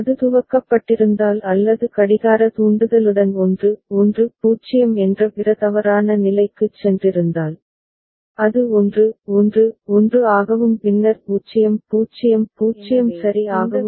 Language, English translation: Tamil, And had it been initialised or had gone to the other invalid state which is 1 1 0 with a clock trigger, it would have come to 1 1 1 and then to 0 0 0 ok